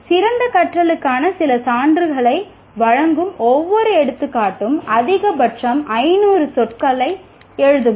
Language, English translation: Tamil, Right, maximum of 500 words for each example, giving some evidence of better learning